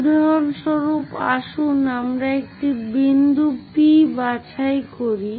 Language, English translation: Bengali, For example, let us pick a point P